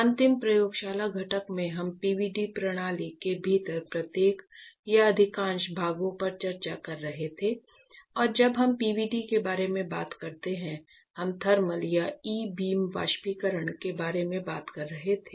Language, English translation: Hindi, This module is really interesting because if you recall the last lab component; we were discussing each and every or most of the parts within the PVD system and when we talk about PVD; we were talking about thermal and E beam evaporation right